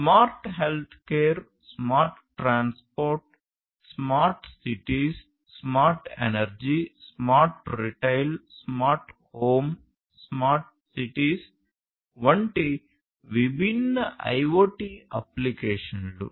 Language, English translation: Telugu, So, the different IoT applications like smart health care, smart transportation, smart cities, smart energy, smart retail, smart home, smart cities overall